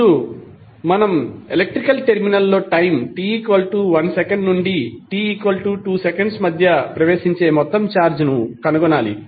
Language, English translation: Telugu, And now to find out the total charge entering in an electrical terminal between time t=1 second to t=2 second